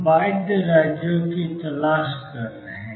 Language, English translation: Hindi, We are looking for bound states